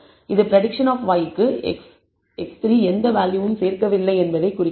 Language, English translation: Tamil, It indicates that x 3 is not adding any value to the prediction of y